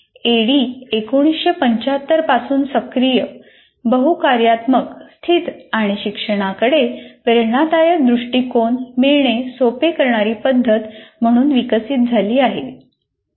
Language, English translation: Marathi, ADE evolved since 1975 into a framework that facilitates active, multifunctional, situated, and inspirational approach to learning